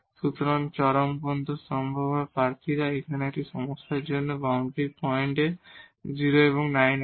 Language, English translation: Bengali, So, the possible candidates for this extrema because again for this problem now; we have the boundary points 0 and 9